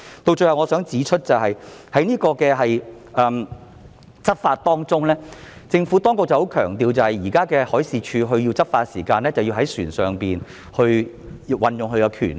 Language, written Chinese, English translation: Cantonese, 最後，我想指出的是在執法方面，政府十分強調海事處現在若要執法，便須在船上運用權力。, Finally I would like to point out that in respect of law enforcement the Government strongly emphasizes that the law enforcement power of the Marine Department MD has to be exercised on board vessels